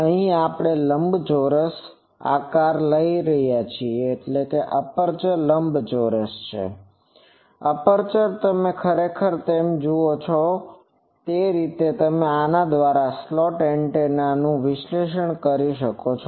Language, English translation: Gujarati, Here, we are taking rectangular aperture and this aperture actually you see this is the way you can analyze actually slot antennas by these